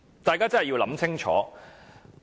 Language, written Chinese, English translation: Cantonese, 大家真的要想清楚。, This is what we need to think very clearly